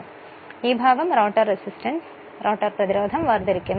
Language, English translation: Malayalam, So, this part actually separated the rotor resistance is separated right